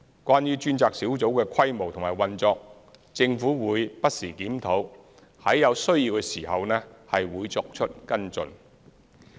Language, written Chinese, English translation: Cantonese, 關於專責小組的規模及運作，政府會不時檢討，在有需要時會作出跟進。, The Government will review the establishment and the operation of the task force from time to time and take follow - up actions when necessary